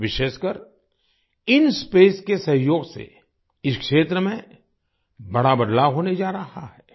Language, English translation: Hindi, In particular, the collaboration of INSPACe is going to make a big difference in this area